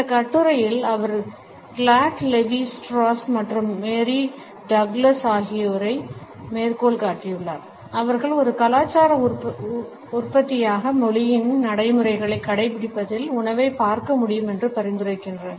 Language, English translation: Tamil, In this article she has quoted Claude Levi Strauss and Mary Douglas who suggest that we can view food as adhering to the same practices as language as a cultural product